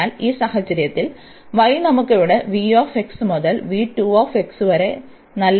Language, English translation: Malayalam, So, in this case the y we have the nice limits here v 1 x to v 2 x